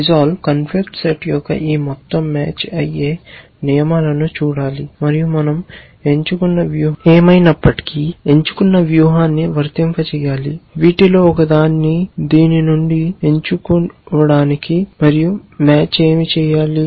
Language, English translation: Telugu, Resolve has to look at this entire set of matching rules of the conflict set and applied a chosen strategy whichever the strategy we have chosen, to select one of these from this and what does match have to do